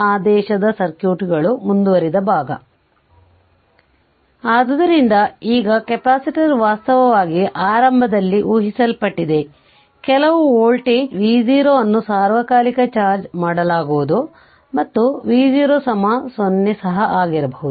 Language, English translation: Kannada, So, now this capacitor actually initially assumed, it was charged say some volt[age] say some voltage say v 0 not necessarily that it will be charged all the time v 0 can be 0 also